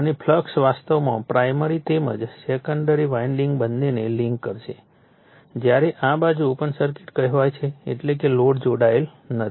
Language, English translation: Gujarati, And we and the flux we will link actually both the primary as well as the secondary winding when this side is your what you call open circuited right that means load is not connected